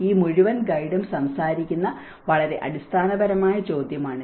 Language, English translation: Malayalam, This is a very fundamental question which this whole guide talks about